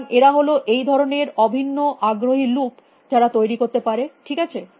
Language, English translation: Bengali, So, they are these kinds of very curious loops which can form, okay